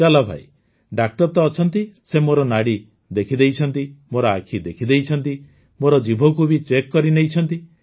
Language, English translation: Odia, Okay…here's a doctor, he has checked my pulse, my eyes… he has also checked my tongue